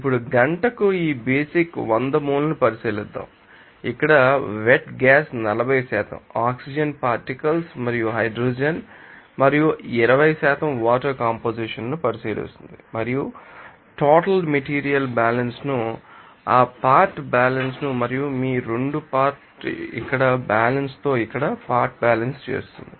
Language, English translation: Telugu, Now, let us consider these basic hundred mole per hour that wet gas here the composition of 40% oxygen particles and hydrogen and 20% water and consider the overall total material balance and you know that component balances and also component balances here like your 2 component balances here first of all you have to do that total material balance like 100 will be equal to D + C, this is input these are output